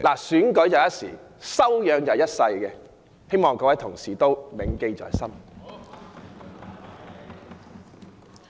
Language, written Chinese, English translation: Cantonese, 選舉是一時，但修養是一生的，希望各位同事銘記在心。, An election is just a passing occasion while our character is something that lasts a lifetime and I hope fellow colleagues will keep this in mind